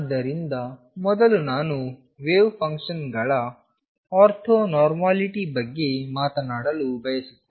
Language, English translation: Kannada, So, first in that I want to talk about is the ortho normality of wave functions